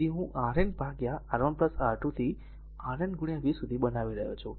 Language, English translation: Gujarati, So, I am making RN upon R 1 plus R 2 up to RN into v so, this one